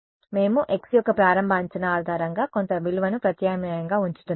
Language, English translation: Telugu, We are putting substituting some value based on an initial estimate of x that is what we are doing